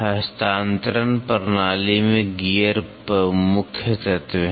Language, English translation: Hindi, Gears are the main element in transmission system